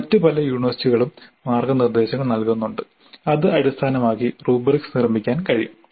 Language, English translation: Malayalam, Many other universities do provide the kind of a guidelines based on which the rubrics can be constructed